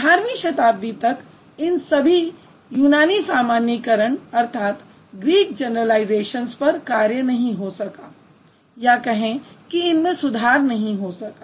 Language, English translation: Hindi, So, all these Greek generalizations, they could not be worked on or they could not be improved until 18th century